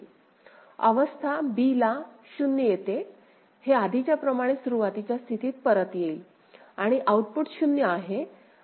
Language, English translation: Marathi, State b 0 comes, it comes back to the initial state similar to what we had done before, output is 0